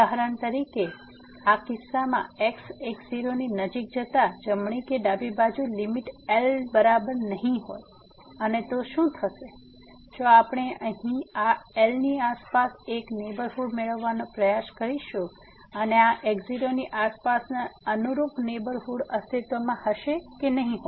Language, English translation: Gujarati, For example, in this case as approaches to naught, the limit whether right or the left is not equal to and what will happen if we try to get a neighborhood around this here and whether the corresponding neighborhood around this naught will exist or not